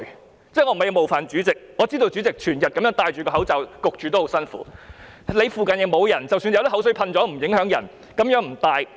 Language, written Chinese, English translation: Cantonese, 我不是要冒犯主席，我知道主席整天戴上口罩，悶得很辛苦；他附近沒有人，即使噴口水，也不影響人，可以不戴。, I do not mean to offend Chairman but I know that with a mask on all day you are suffering from suffocation . As there is nobody around you spraying of spittle if happens at all will not affect others hence no need for you to wear a mask